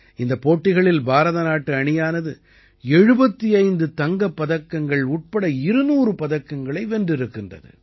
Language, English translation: Tamil, In this competition, the Indian Team won 200 medals including 75 Gold Medals